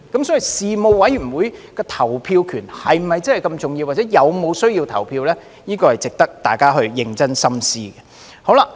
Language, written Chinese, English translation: Cantonese, 所以，事務委員會的投票權是否真的那麼重要，或者是否有需要投票，這是值得大家認真深思的。, So whether the right to vote in the Panels is really that important or whether there is a need to vote at all are what we should consider seriously